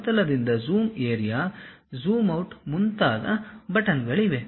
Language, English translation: Kannada, There are buttons like Zoom to Area, zoom out of that plane also